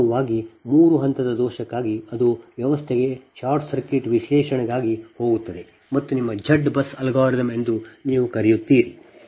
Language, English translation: Kannada, actually for three phase fault, that will go for short circuit analysis for large system and your what you call that, your z bus, z bus algorithm